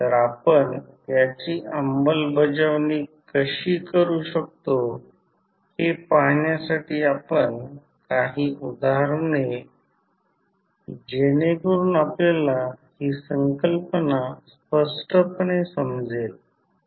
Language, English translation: Marathi, So, to see how we can implement this we will take couple of example so that you can understand this concept very clearly